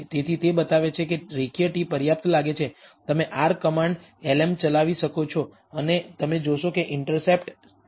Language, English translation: Gujarati, So, it shows that the linear t seems to be adequate you can run the r command lm and you will find that the intercept is 74